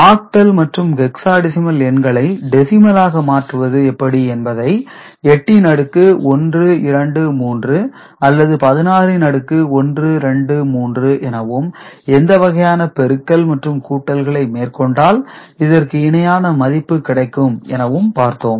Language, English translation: Tamil, And to get octal, hexadecimal to decimal conversion is already you know integer power to the 8 sorry, 8 to the power 1, 2, 3 etcetera or 16 to the power 1, 2, 3, so that kind of what kind of multiplication with coefficient you add them up, you will get the corresponding decimal value